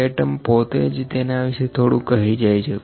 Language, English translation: Gujarati, The terms itself tell something about that